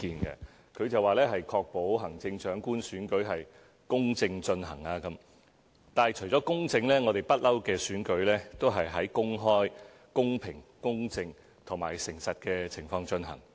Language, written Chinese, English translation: Cantonese, 議案指"確保行政長官選舉公正進行"，但除了公正，我們的選舉一直都在公開、公平、公正和誠實的情況下進行。, The motion is titled Ensuring the fair conduct of the Chief Executive Election but apart from being fair our elections have all along been conducted in an open equitable fair and honest manner